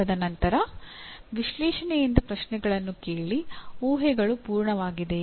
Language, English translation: Kannada, And then ask questions from analysis saying that are the assumptions complete